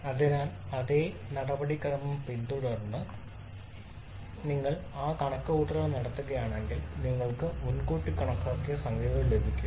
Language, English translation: Malayalam, So if you do that calculation following the same procedure you can have precalculated numbers